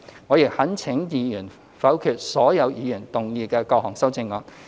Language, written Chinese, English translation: Cantonese, 我亦懇請議員否決所有議員提出的各項修正案。, I also urge Members to veto all the amendments proposed by various Members